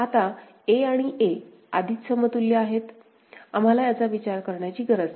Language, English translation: Marathi, Now a and a are already equivalent, we do not need to consider that